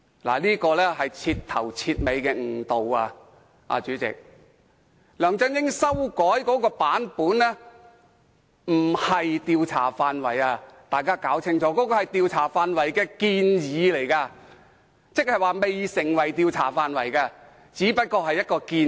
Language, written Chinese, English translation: Cantonese, 大家要搞清楚，梁振英修改的並非調查範圍，而是調查範圍的建議。那還未成為調查範圍，只是一項建議。, We should bear in mind that LEUNG Chun - ying has not amended the scope of inquiry but the proposed the scope of inquiry and a final decision has not been made